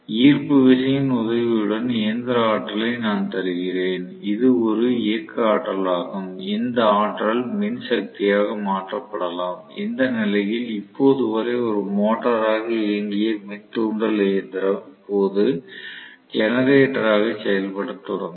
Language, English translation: Tamil, I am giving mechanical energy with the help of may be the gravitational pull, which is a kinetic energy that can be converted into electrical energy in which case the induction machine until now what was operating as a motor will start functioning as a generator